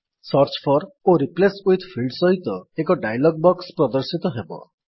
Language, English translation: Odia, You see a dialog box appears with a Search for and a Replace with field